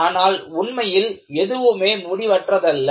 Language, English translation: Tamil, In reality, nothing can go into infinity